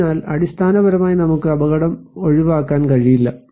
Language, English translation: Malayalam, So, we cannot avoid hazard basically